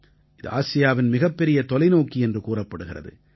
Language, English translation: Tamil, This is known as Asia's largest telescope